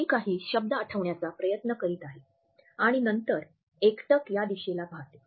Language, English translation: Marathi, So, I am trying to recollect certain words and then the gaze moves in this direction